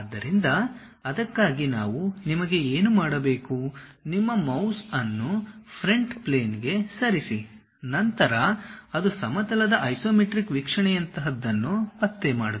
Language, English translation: Kannada, So, for that what we have to do you, move your mouse onto Front Plane, then it detects something like a Isometric view of a plane